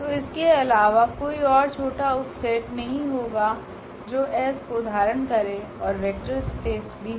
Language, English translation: Hindi, So, there cannot be any smaller subset of this which contain s and is a vector space